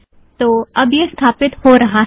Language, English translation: Hindi, Alright, now it starts to install